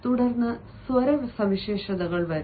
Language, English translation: Malayalam, then comes the vocal characteristics